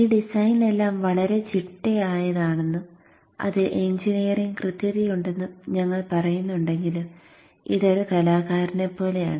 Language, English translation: Malayalam, Though we say all this design is very systematic and has engineering precision in it, when you implement, there is some element of art which comes into it